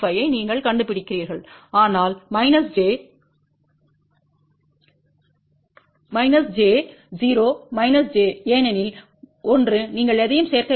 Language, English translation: Tamil, 45 on smith chart not 1 plus, but minus j a 0 minus j because 1 you do not have to add anything